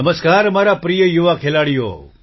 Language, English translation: Gujarati, Namaskar my dear young players